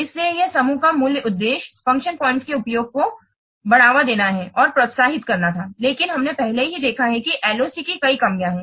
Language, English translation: Hindi, So the basic purpose of this group was to promote and encourage use of function points because we have already seen LOC has several drawbacks